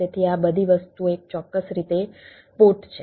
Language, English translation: Gujarati, so these all these things are a way particular port